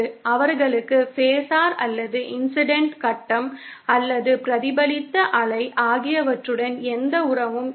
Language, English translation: Tamil, They have no relationship to the phasor or the phase of the incident or reflected wave